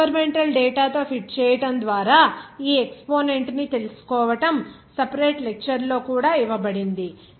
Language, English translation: Telugu, Ok, to find out this exponent just by fitting with experimental data that we are given in separate lecture letter on also